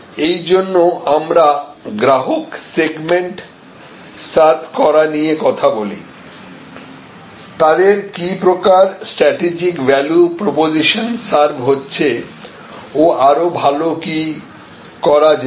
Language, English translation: Bengali, That is why we actually talked about the customer segment served and served with what kind of strategic value proposition and what can be done better